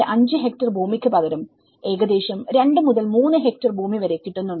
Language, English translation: Malayalam, 5 hectare land, they are having about 2 to 3 hectares land of it